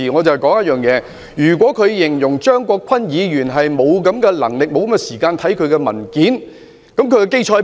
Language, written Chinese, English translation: Cantonese, 她若指張國鈞議員沒有這種能力、沒有時間閱覽文件，她有何根據？, She alleged that Mr CHEUNG Kwok - kwan was incompetent and had no time to read documents . Was her allegation well - grounded?